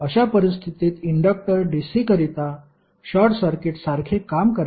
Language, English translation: Marathi, In that case the inductor would act like a short circuit to dC